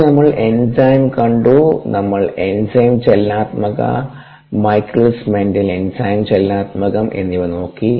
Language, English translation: Malayalam, we looked at ah enzyme kinetics, the michaelis menten enzyme kinetics